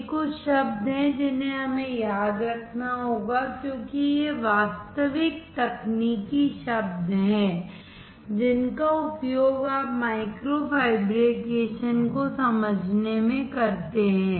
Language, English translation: Hindi, These are the few terms that we have to remember because these is actual technical terms used when you understand micro fabrication